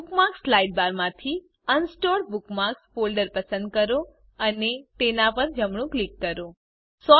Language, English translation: Gujarati, From the Bookmarks sidebar, select the Unsorted Bookmarks folder and right click on it